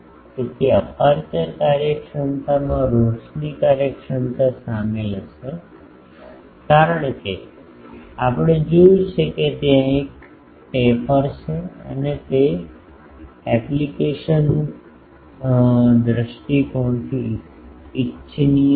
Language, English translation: Gujarati, So, aperture efficiency will comprise of illumination efficiency because, we have seen that there is a taper and it is desirable from the application point of view